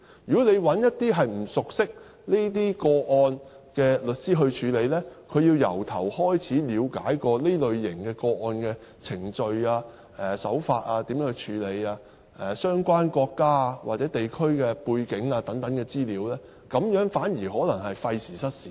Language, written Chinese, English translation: Cantonese, 如果找一些不熟悉這些個案的律師處理，他便要從頭開始了解這類個案的程序、處理手法、相關國家或地區的背景等資料，反而可能是費時失事。, If lawyers who are not familiar with these cases are asked to deal with these cases then they have to go back to square one and to study the procedure of these cases the approach to deal with them and to understand the background information of the relevant country or region . In that case they will waste a lot of time and efforts